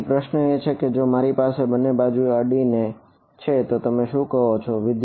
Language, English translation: Gujarati, So, the question is that if I have 2 adjacent 2 adjacent what do you call